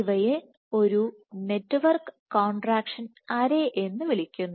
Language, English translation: Malayalam, So, these are referred to as a network contraction array